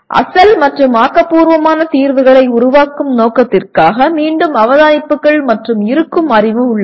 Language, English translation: Tamil, Observations and existing knowledge, again for the purpose of creating original and creative solutions